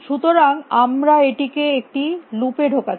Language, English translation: Bengali, So, we have this put this in a loop